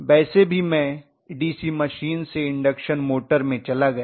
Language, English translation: Hindi, So anyway I migrated from the DC machine to the induction motor